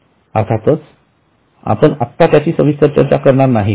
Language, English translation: Marathi, Of course, right now we will not go into it